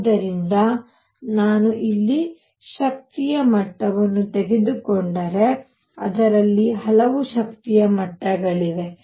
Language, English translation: Kannada, So, if I take an energy level here, it has in it many many energy levels